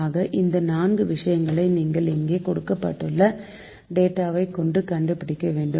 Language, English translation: Tamil, so this four thing you have to determine based on the given data